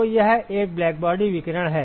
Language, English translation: Hindi, So, it is a blackbody radiation